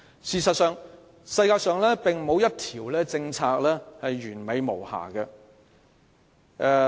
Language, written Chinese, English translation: Cantonese, 事實上，世上並沒有一項政策是完美無瑕的。, As a matter of fact no policy in the world is perfect